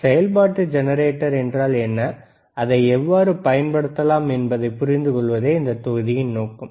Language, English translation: Tamil, tThe module is to understand that what is function generator is and how we can use it, all right